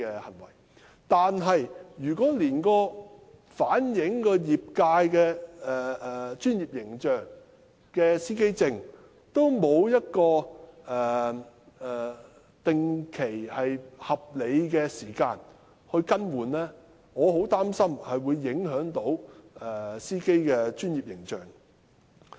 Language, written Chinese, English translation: Cantonese, 可是，如果連反映業界專業形象的司機證也沒有合理的定期更換年期，我很擔心會影響的士司機的專業形象。, However if driver identity plates which reflect the professional image of the trade are not even renewed on a reasonably regular basis I am very worried that the professional image of taxi drivers will be affected